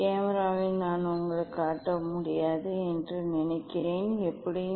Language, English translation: Tamil, I think in camera I will not be able to show you but, anyway